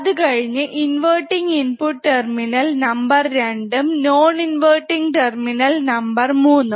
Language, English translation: Malayalam, So, one is at inverting terminal one is a non inverting terminal